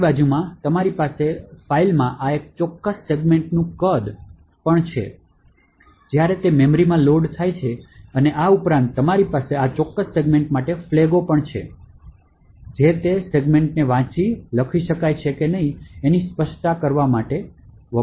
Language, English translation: Gujarati, Beside this, you have the size of this particular segment in the file and also the size of the segment when it is loaded into memory and additionally you have flags for this particular segment, which specifies whether that segment can be read, written to or can be executed